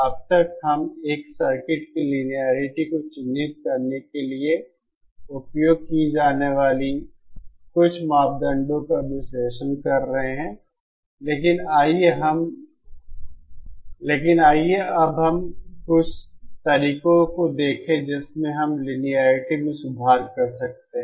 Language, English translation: Hindi, So far, we have been analyzing some of the parameters used to characterize the linearity of a circuit, but let us now see some of the methods in which how we can improve the linearity